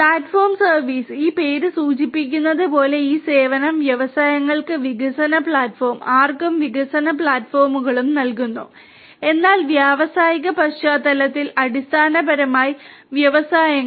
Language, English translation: Malayalam, Platform as a service; as this name suggests this service gives development platforms to the industries, development platforms to whoever, but in the industrial context basically the industries